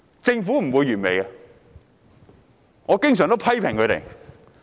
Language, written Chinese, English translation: Cantonese, 政府不會是完美的，我也經常批評政府。, The Government will not be perfect . I often criticize it too